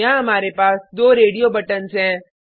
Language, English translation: Hindi, Here we have two radio buttons